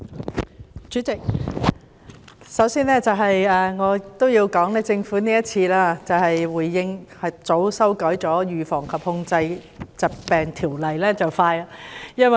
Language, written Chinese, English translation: Cantonese, 主席，我首先要說，政府今次回應和及早修訂《預防及控制疾病條例》，做得很快。, President before all else I must commend the Government this time for its response and prompt amendment of the Prevention and Control of Disease Ordinance